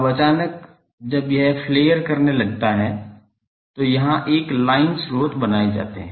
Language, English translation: Hindi, Now suddenly when it starts getting flared a line sources is created here